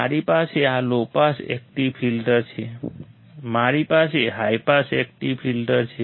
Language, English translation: Gujarati, I have this low pass active filter; I have high pass active filter